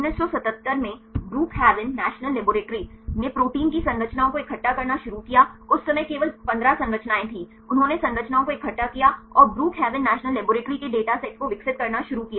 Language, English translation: Hindi, In 1977, Brookhaven National Laboratory started to collect the structures of proteins; at that time there were only 15 structures right they gathered the structures and started to develop a data set Brookhaven National Laboratory